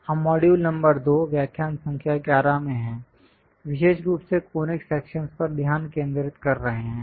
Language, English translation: Hindi, We are in module number 2, lecture number 11, especially focusing on Conic Sections